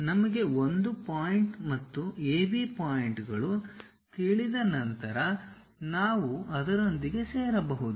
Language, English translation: Kannada, Once we know 1 point and AB points are known we can join them